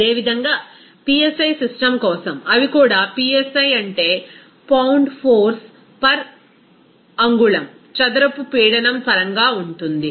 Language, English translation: Telugu, Similarly, for psi system, they are also it will be in terms of psi means pound force per inch square pressure